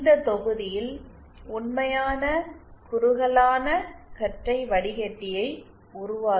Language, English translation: Tamil, In this module, we shall be using those resonators to build the actual narrowband filter